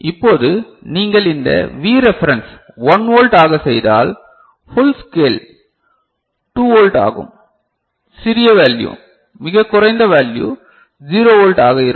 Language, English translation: Tamil, Now, if you make this V reference 1 volt ok, then the full scale becomes 2 volt and the smaller value, the lowest value remains 0 volts